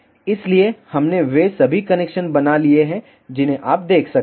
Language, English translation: Hindi, So, we have made all the connections you can see